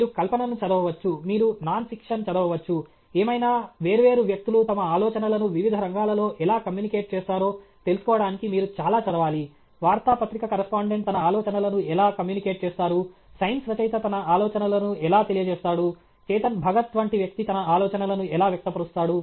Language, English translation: Telugu, You may do fiction, you may read fiction, you may read nonfiction, whatever; you have to do lot of reading to find out how different people communicate their ideas in different fields how a newspaper correspondent communicates his ideas; how a science writer communicates his ideas; how a person like Chetan Bhagat communicates his ideas